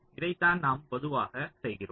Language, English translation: Tamil, ok, this is what is normally done